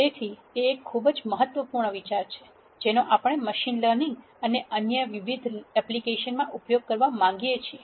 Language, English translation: Gujarati, So, that is a very important idea that we want to use in machine learning and various other applications